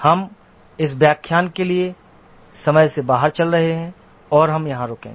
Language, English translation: Hindi, We are running out of time for this lecture and we will stop here